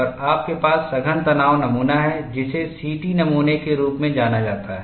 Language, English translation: Hindi, And you have compact tension specimen, which is known as CT specimen